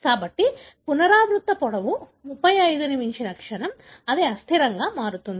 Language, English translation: Telugu, So, the moment the repeat length exceeds 35, it becomes unstable